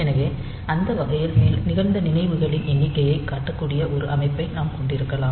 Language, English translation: Tamil, So, that way we can have a system that can display the number of events that have occurred